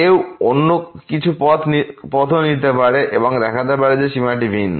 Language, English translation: Bengali, One can also take some other path and can show that the limit is different